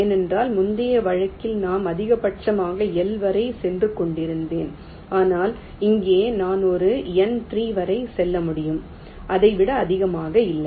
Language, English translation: Tamil, because in the earlier case i was going up to a maximum of l, but here i can go up to a number three, not more than that